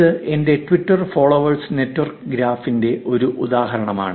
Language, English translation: Malayalam, This is an example of my Twitter followees network graph